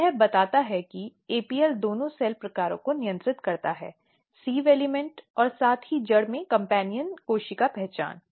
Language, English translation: Hindi, So, this tells that APL regulates both the cell types sieve element as well as companion cell identity in in the root